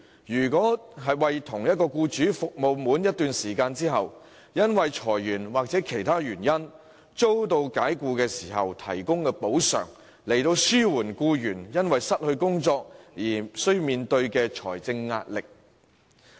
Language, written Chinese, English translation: Cantonese, 若僱員為同一僱主服務滿一段時間後，由於裁員或其他原因遭解僱，亦能獲得一定的補償，以紓緩因失業而面對的財政壓力。, If an employee after serving the same employer for a period of time is dismissed due to retrenchment or other causes he will receive a certain amount of compensation to alleviate the financial pressure faced by him as a result of unemployment